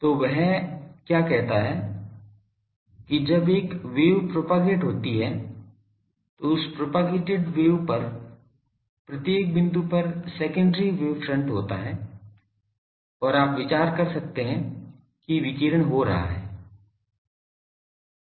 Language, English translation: Hindi, So, what he says that when a wave propagates, so every point on that propagated wave that waves has a secondary wave front secondary source and that you can consider that that is radiating